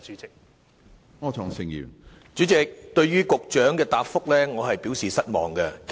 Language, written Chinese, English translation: Cantonese, 主席，對於局長的主體答覆，我表示失望。, President I am disappointed with the main reply of the Secretary